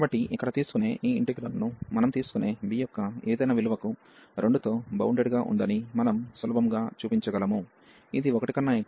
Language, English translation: Telugu, So, we can easily show that this integral here is bounded by by 2 for any value of b we take, which is greater than 1 less than infinity